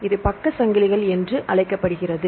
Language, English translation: Tamil, Right, this is called as side chains